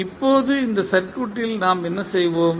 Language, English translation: Tamil, Now, in this particular circuit what we will do